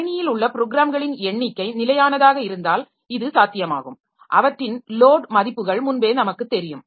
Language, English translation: Tamil, So, this is possible if the number of programs in the system is fixed and we know there load values previously